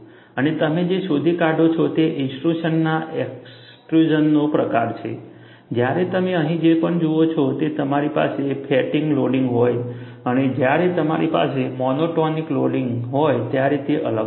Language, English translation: Gujarati, And what you find is, the type of the intrusion, extrusion, whatever you see here, they are different, when you have fatigue loading and when you have monotonic loading